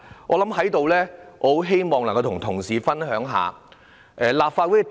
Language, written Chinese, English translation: Cantonese, 我在此希望與同事分享一下看法。, I wish to share my views with Honourable colleagues